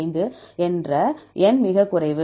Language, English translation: Tamil, 5 from this 8 is the lowest